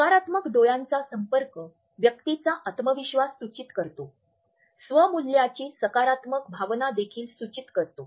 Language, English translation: Marathi, A positive eye contact suggest a confident person, it also suggest a positive sense of self worth